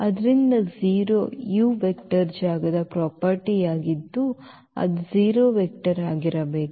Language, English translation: Kannada, So, 0 into u that is a property of the vector space this should be 0 vector then